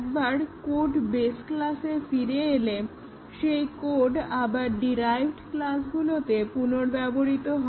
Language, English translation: Bengali, Once code is returned in the base class the code is reused in the derived classes